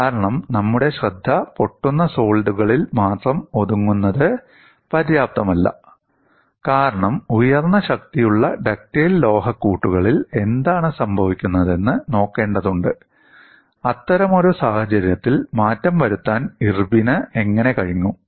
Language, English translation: Malayalam, Because only confining our attention to brittle solids will not be sufficient because we have to look at what happens in high strength ductile alloys; how Irwin was able to modify for such a situation